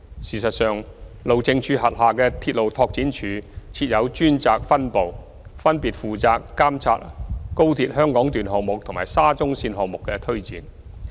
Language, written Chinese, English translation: Cantonese, 事實上，路政署轄下的鐵路拓展處設有專責分部，分別負責監察高鐵香港段項目和沙中線項目的推展。, In fact the Railway Development Office RDO under HyD has dedicated divisions responsible for monitoring the implementation of the XRL Hong Kong Section and the SCL project respectively